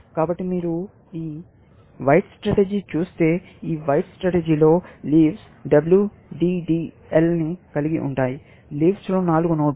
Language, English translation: Telugu, So, if you look at this white strategy, in this white strategy, the leaves have W, D, D, L; four nodes in the leaves